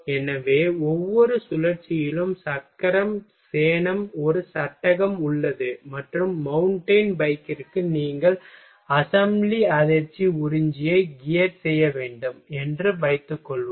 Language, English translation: Tamil, So, each cycle has a frame for wheel saddle and suppose that for mountain bike you will have to gear assembly shock absorber